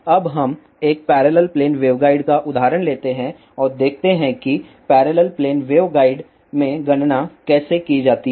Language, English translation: Hindi, Now let us take an example of a parallel plane waveguide and see how calculations are done in parallel plane waveguide